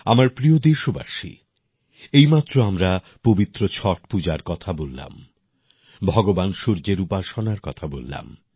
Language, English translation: Bengali, My dear countrymen, we have just talked about the holy Chhath Puja, the worship of Lord Surya